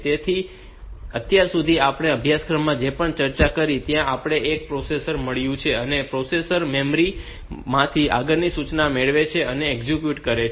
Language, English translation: Gujarati, So, so far whatever we have discussed in this course, there we have got the processor, and processor it gets the next instruction from memory executes it